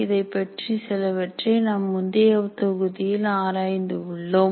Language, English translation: Tamil, We have explored a little bit in the earlier module